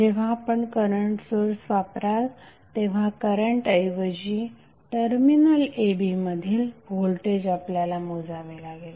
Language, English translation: Marathi, When you apply the current source instead of the current which you have measure here you have to measure the voltage across terminals a b